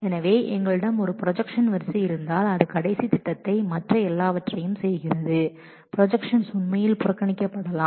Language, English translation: Tamil, So, if we have a sequence of projections that is simply doing the last projection all other projections can actually be ignored